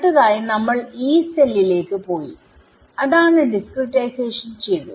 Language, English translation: Malayalam, Next we went to Yee cell right in other words we discretized right